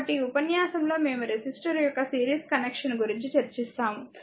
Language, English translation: Telugu, So, in this lecture we will discuss that series connection of the resistor